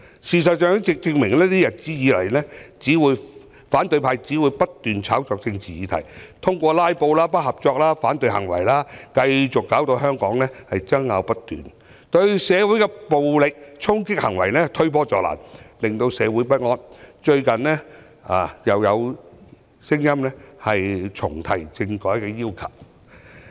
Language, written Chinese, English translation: Cantonese, 事實上，過去一段日子已可證明，反對派只會不斷炒作政治議題，通過"拉布"、不合作等行為，繼續導致香港爭拗不斷，對社會的暴力衝擊行為推波助瀾，令社會不安，最近又有聲音重提政改的要求。, In fact over the past period of time the opposition camp has kept engaging in political hype stirring up conflicts and confrontations through filibustering and uncooperative acts and encouraging violent charging acts thereby causing unrest in society . Recently the subject of constitutional reform has been raised again